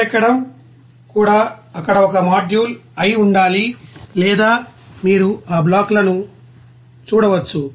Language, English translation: Telugu, Even heating one should be one module there or you can see that blocks